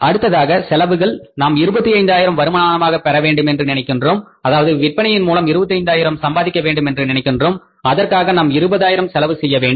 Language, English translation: Tamil, Now expenses be thought of that for earning a revenue of 25,000 rupees, earning sales of 25,000 rupees we will have to invest or spend 20,000 but we have saved here